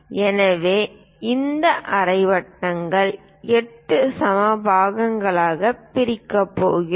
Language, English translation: Tamil, So, we are going to divide these semicircle into 8 equal parts